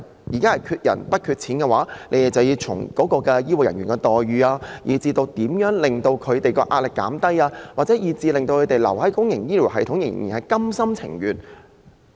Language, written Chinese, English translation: Cantonese, 要應對缺人不缺錢的問題，局方應研究如何提升醫護人員的待遇、減輕他們的壓力，令他們心甘情願留在公營醫療系統。, In order to cope with the shortage of manpower rather than money the bureau concerned must explore ways to enhance the employment terms of healthcare personnel and relieve their pressure . That way they will be willing to stay in the public healthcare system